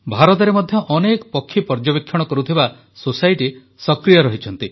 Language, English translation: Odia, In India too, many bird watching societies are active